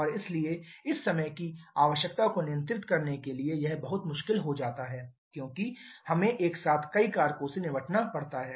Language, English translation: Hindi, And therefore to control it to control this time requirement it becomes very difficult as we have to deal with several factors simultaneously